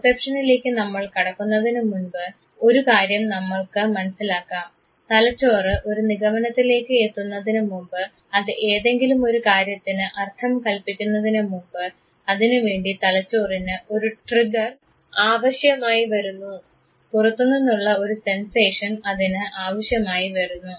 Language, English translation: Malayalam, Before we come to perception let us understand one thing, that the brain before it arrives at a conclusion before it assigns a meaning to something it would require a trigger, it would require a sensation from outside